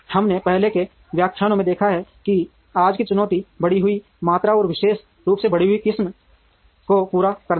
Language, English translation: Hindi, We have already seen in earlier lectures that today’s challenge is to meet the increased volume, and variety particularly increased variety